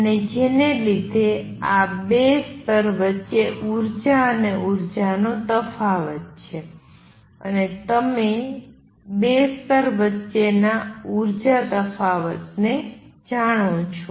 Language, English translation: Gujarati, So, this let to energies and energy differences between 2 levels and once you know the energy difference between the 2 levels